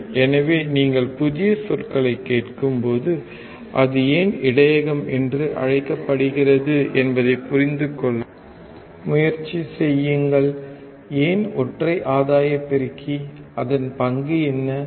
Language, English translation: Tamil, Right, so, when you listen to new terminologies, try to understand why it is called buffer, why unity gain amplifier, what is the role